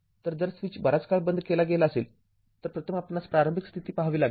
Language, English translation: Marathi, So, if switch was opened for a long time, first you have to see that initial condition right so let me clear it